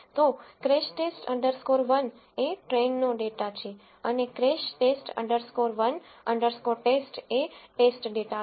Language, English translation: Gujarati, So, crash test underscore 1 is the train data and crash test underscore 1 underscore TEST is the test data